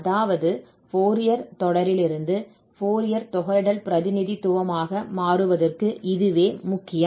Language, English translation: Tamil, I mean, this is important here for the transition from Fourier series to this Fourier integral representation